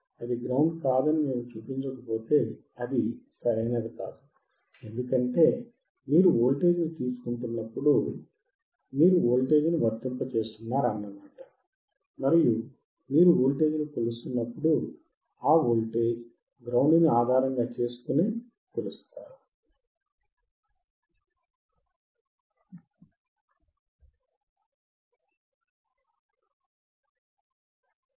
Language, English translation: Telugu, If we do not show that it is not grounded, it is not correct, because when you are taking voltage you are applying voltage and you are measuring voltage is always with respect to ground